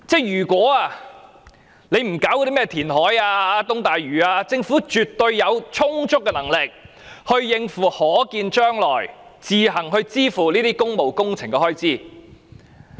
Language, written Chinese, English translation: Cantonese, 如果政府不搞甚麼填海、東大嶼都會等，絕對有充足能力自行支付可見將來的工務工程開支。, If the Government does not engage in such projects as reclamation the East Lantau Metropolis etc it will absolutely be fully capable of paying the expenditure on public works in the foreseeable future by itself